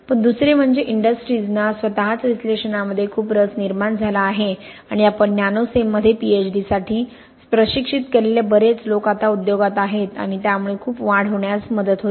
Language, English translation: Marathi, But secondly, the industries themselves have become very much more interested in, in the analysis, and a lot of the people we have trained in Nanocem for Ph Ds have now, are now in the industry and that also helps the, you know tremendous increase of knowledge I think we see